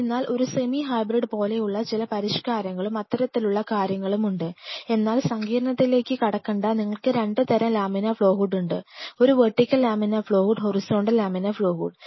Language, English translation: Malayalam, So, there are modifications there is something like a semi hybrid and all those kinds of things, but do not get in the complexity just keep in mind you have 2 kinds of laminar flow hood a vertical laminar flow hood and a horizontal laminar flow hood